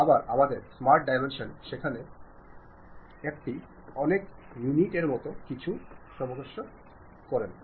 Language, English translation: Bengali, Again our smart dimension is wonderful to go there, adjust that to something like these many units